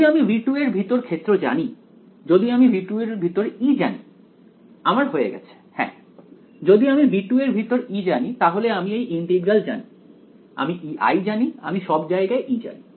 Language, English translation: Bengali, If I know the field inside v 2 if I know E inside v 2 am I done yes, if I know E inside v 2 then the integral I know; E i I know therefore, I know E everywhere